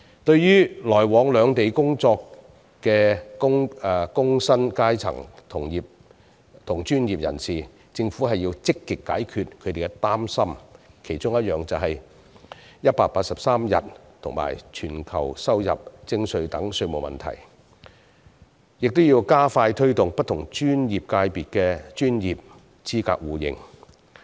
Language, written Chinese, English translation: Cantonese, 對於來往兩地工作的工薪階層及專業人士，政府要積極解決他們的擔心，其中一點是居住滿183天便要全球收入徵稅的稅務問題，還要加快推動不同專業界別的專業資格互認。, As for the working class and professionals who travel between the Mainland and Hong Kong for work the Government should take active measures to address their concerns . One of such issues is taxation because people are taxed on a worldwide basis when they stay on the Mainland for 183 days or more during a year . Moreover the promotion of mutual recognition of professional qualifications for different disciplines should also be expedited